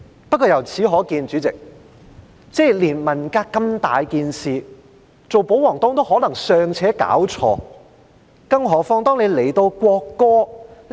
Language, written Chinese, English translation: Cantonese, 不過，由此可見，主席，連文革如此重大的事件，做保皇黨的也可能尚且弄錯，更何況國歌？, Having said that Chairman it goes to show that a royalist Member may get things wrong even when it comes to such a major incident as the Cultural Revolution let alone the national anthem